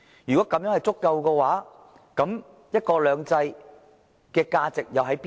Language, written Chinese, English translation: Cantonese, 如果是足夠的話，"一國兩制"的價值又在哪裏？, If so then what is the actual value of the one country two systems principle?